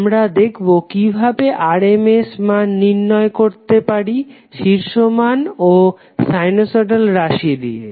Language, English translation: Bengali, So we will see how we can derive The RMS value with the help of the peak values and sinusoidal termed